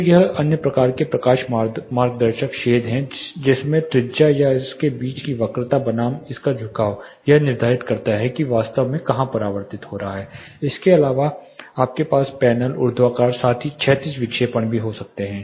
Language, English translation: Hindi, So, this is another type light guiding shades which you know the radius and the curvature of it versus the tilt of it determines, where it is getting actually reflected apart from this you have deflecting panels vertical as well as horizontal deflections